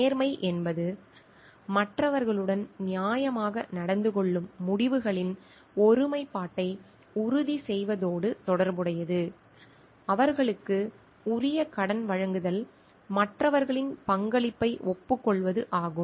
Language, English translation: Tamil, Integrity relates to ensuring integrity of results dealing fairly with others in terms of giving them their due credit, acknowledging others contribution